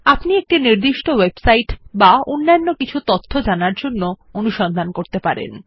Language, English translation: Bengali, One can search for a specific website or for some other information